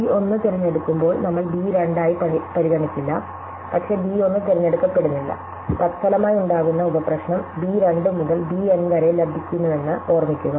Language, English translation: Malayalam, So, when b 1 is chosen we will not considered b 2, but b 1 is not chosen remember that we get the resulting sub problem b 2 to b N